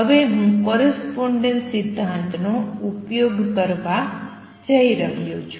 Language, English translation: Gujarati, Now I am going to make use of the correspondence principle